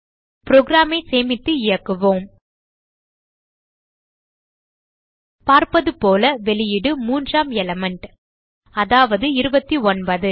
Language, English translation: Tamil, Let us save run the program As we can see, the output is the third element,i.e 29